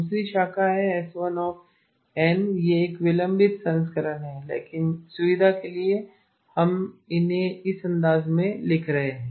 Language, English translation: Hindi, Second branch is S1 of n it is a delayed version but just for convenience we are writing them in this fashion